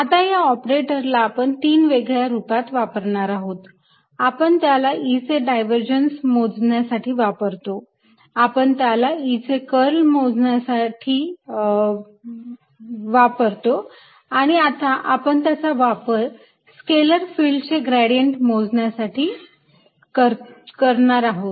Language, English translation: Marathi, now we have used it to calculate divergence of e, we have used it to calculate curl of e and now we have used it to calculate gradient of i, scalar field, if you like